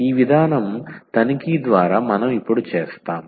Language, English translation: Telugu, So, this approach would by inspection we will do now